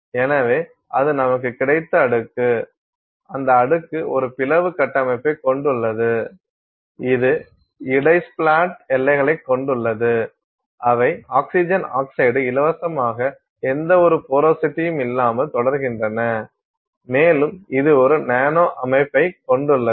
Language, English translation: Tamil, So, that is the layer that you have got, that layer has a splat structure, it has inter splat boundaries which are oxygen oxide free continuous without any porosity and it is having a nanostructure